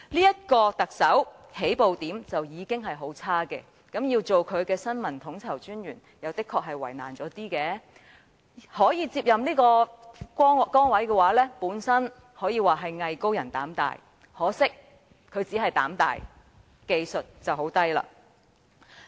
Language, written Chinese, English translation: Cantonese, 這個特首的起步點已經很差，身為他的新聞統籌專員確實是比較為難，可接任這崗位的人可說是"藝高人膽大"，可惜他無疑是膽大，但技藝卻極低。, This Chief Executive indeed had a very poor start in popularity rating so the task of his Information Coordinator is honestly quite a difficult one . The one capable of doing this task must be a person with a lot of guts and skills . Regrettably Andrew FUNG undoubtedly has a lot of guts but he has very poor skills